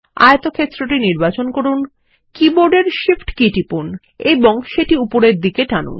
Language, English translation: Bengali, Select the rectangle, press the Shift key on the keyboard and drag it upward